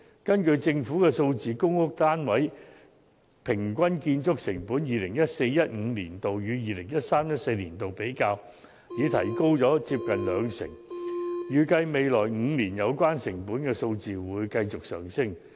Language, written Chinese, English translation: Cantonese, 根據政府的數字，就公屋單位的平均建築成本而言，比較 2014-2015 年度與 2013-2014 年度便已增加接近兩成，預計未來5年有關成本數字會繼續上升。, According to the statistics of the Government comparing the average construction cost for a PRH flat between 2014 - 2015 and 2013 - 2014 there is an increase of 20 % and the increase is expected to continue in the next five years